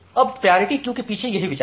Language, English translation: Hindi, Now, that is the idea behind priority queue